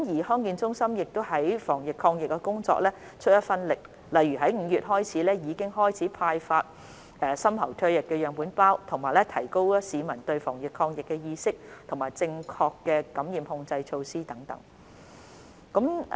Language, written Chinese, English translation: Cantonese, 康健中心亦為防疫抗疫工作出一分力，例如由去年5月開始已派發深喉唾液樣本收集包，並提高市民的防疫意識和宣傳正確的感染控制措施等。, DHCs have also done their part in anti - epidemic work . For example since May last year they have been engaged in the distribution of deep throat saliva specimen collection packs enhancement of the anti - epidemic awareness of the public and promotion of proper infection control practices